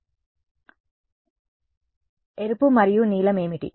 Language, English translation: Telugu, A good question what is the red and blue